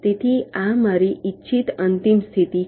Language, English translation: Gujarati, so this is my desired final state